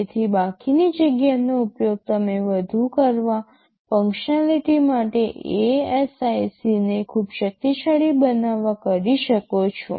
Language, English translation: Gujarati, So, you can use the remaining space to put in much more; you can saywith additional functionality to make the ASIC very powerful right ok